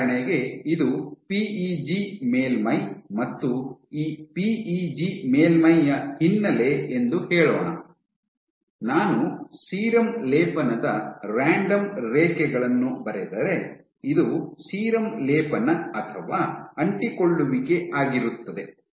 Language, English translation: Kannada, So, for example, let us say this is your background of PEG surface and on these PEG surface, you randomly draw these lines of serum coating